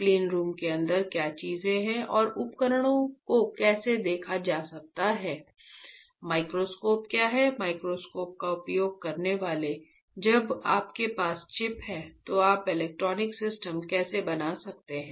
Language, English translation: Hindi, What are the things within inside the cleanroom and how the devices can be seen, what are the microscopes, having to use the microscope when you have when you have a chip how can you make the electronic system